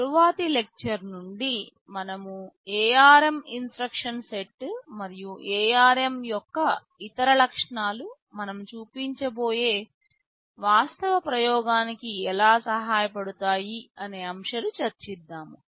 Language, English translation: Telugu, From the next lecture onwards, we shall be moving on to some aspects about the ARM instruction set and other features of ARM that will be helpful in the actual experimentation that we shall be showing